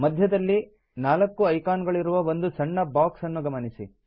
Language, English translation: Kannada, Notice a small box with 4 icons in the centre